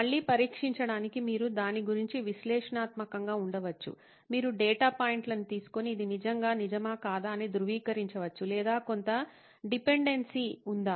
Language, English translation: Telugu, Again to be tested, you can be analytical about it, you can take data points and verify if this is really the truth or is there some kind of dependency